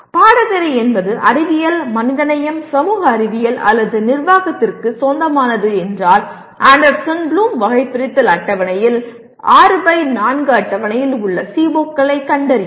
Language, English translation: Tamil, If the course belongs to sciences, humanities, social sciences or management locate COs in Anderson Bloom taxonomy table that is 6 by 4 table